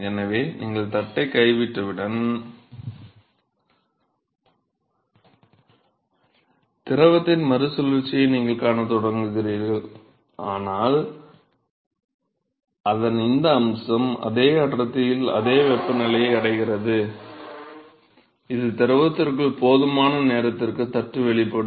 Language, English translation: Tamil, So, as soon as you drop the plate itself you will start seeing recirculation of the fluid, but this aspect of it reaching the same temperature in the same density, is after the plate is exposed to a sufficient time inside the fluid